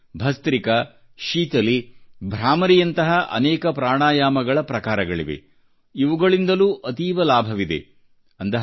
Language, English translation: Kannada, But there are many other forms of Pranayamas like 'Bhastrika', 'Sheetali', 'Bhramari' etc, which also have many benefits